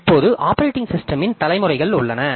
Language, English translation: Tamil, Now there are generations of operating systems